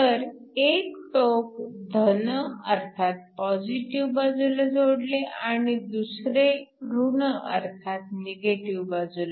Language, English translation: Marathi, So, one of the terminals is connected to a positive side the other is connected to a negative